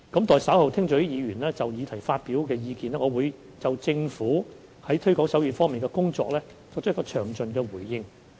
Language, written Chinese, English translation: Cantonese, 待稍後聽取議員就議題發表的意見，我會就政府在推廣手語方面的工作作詳盡的回應。, After listening to Members views on the motion topic I will give a detailed reply on the efforts of the Government to promote sign language